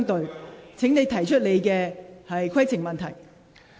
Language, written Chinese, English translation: Cantonese, 陳志全議員，請提出你的規程問題。, Mr CHAN Chi - chuen please raise your point of order